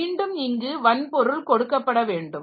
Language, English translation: Tamil, So, again, so this hardware has to be provided